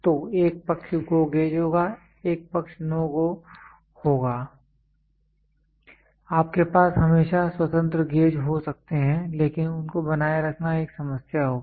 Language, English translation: Hindi, So, one side will be GO one side will be no GO you can always have independent gauges, but the problem is maintaining will be a problem